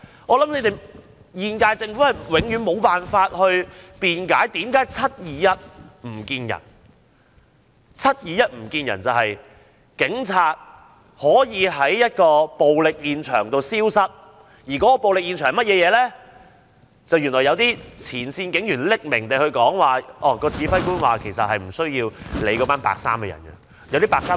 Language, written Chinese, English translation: Cantonese, 我想本屆政府永遠無法辯解為何 "721 唔見人"，就是在7月21日當天，警察為何在暴力現場消失，然後有前線警員以匿名方式透露，指揮官曾表示不用理會那些"白衣人"。, I think the current - term Government can never explain the July 21 - didnt show up incident . On 21 July why would police officers disappear from the scene of violence? . Then certain frontline police officers disclosed anonymously that police officers were told by the commander to ignore the white - clad mob